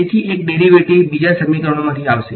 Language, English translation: Gujarati, So, one derivative will come from the second equation